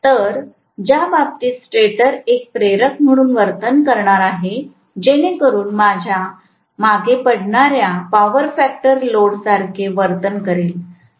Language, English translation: Marathi, So, in which case, the stator is going to behave like an inductor so behaves like a lagging power factor load